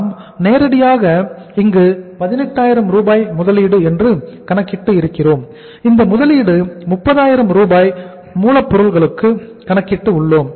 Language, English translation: Tamil, The investment we have worked out here is that is 18,000 Rs directly that we have calculated here is that is this investment we have calculated here is that is 30,000 that is in the raw material